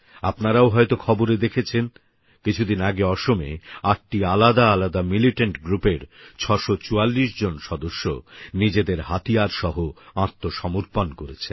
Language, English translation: Bengali, You might also have seen it in the news, that a few days ago, 644 militants pertaining to 8 different militant groups, surrendered with their weapons